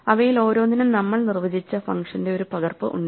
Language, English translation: Malayalam, Each of them has a copy of the function that we have defined associated with it